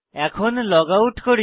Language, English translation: Bengali, Let us logout now